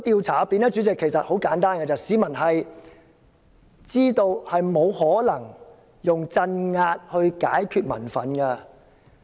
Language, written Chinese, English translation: Cantonese, 主席，其實很簡單，市民知道沒有可能用鎮壓解決民憤。, President it is very simple actually . People know that repression cannot possibly address public resentment